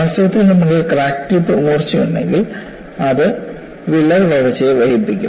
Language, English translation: Malayalam, In fact, if you have blunting of the crack tip, it would delay the crack growth